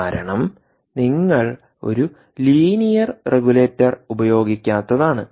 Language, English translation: Malayalam, the reason is: why did you not use a linear regulator